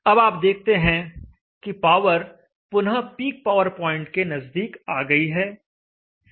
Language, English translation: Hindi, Now you see that the power is back again close to the peak power point